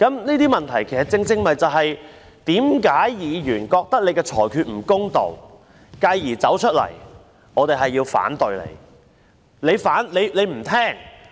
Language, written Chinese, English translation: Cantonese, 這些問題正是議員覺得主席的裁決不公道，繼而要走出來提出反對的原因。, These problems were precisely the reasons why Members considered the rulings of the President unfair and wanted to come out to voice their opposition